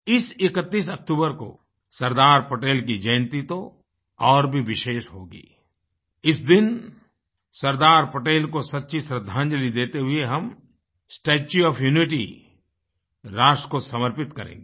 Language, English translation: Hindi, The 31st of October this year will be special on one more account on this day, we shall dedicate the statue of unity of the nation as a true tribute to Sardar Patel